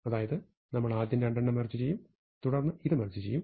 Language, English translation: Malayalam, We want to merge these two, and we want to merge these two